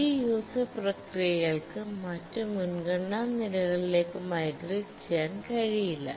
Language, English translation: Malayalam, And the user processes cannot migrate to other priority levels